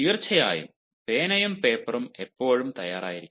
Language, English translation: Malayalam, of course, one should always keep the pen and paper ready